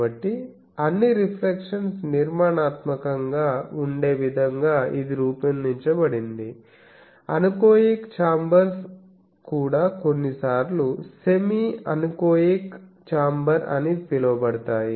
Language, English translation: Telugu, So, it is so designed that all reflections come together constructively, also there are anechoic chambers are sometimes called semi anechoic chamber